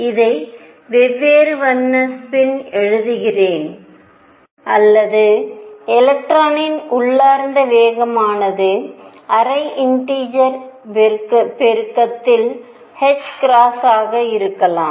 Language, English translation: Tamil, Let me write this in different colour spin, or intrinsic momentum of electron could be half integer multiple of h cross